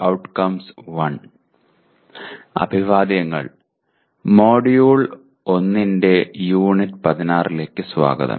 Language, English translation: Malayalam, Greetings and welcome to Unit 16 of the Module 1